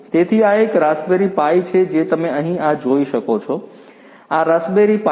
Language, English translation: Gujarati, So, this is this raspberry pi that you can see over here this one, this is this raspberry pi